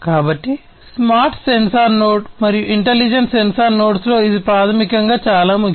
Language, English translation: Telugu, So, this is basically very important in a smart sensor node and intelligent sensor nodes